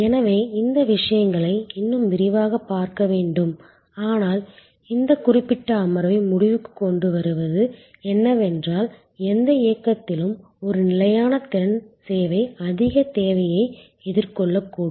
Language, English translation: Tamil, So, will have to see these things in more detail, but to conclude this particular set of session is that at any movement in time a fix capacity service may face excess demand